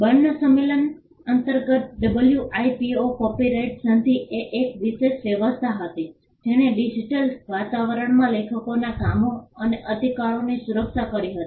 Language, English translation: Gujarati, The WIPO copyright treaty was a special arrangement under the Berne convention which protected works and rights of authors in the digital environment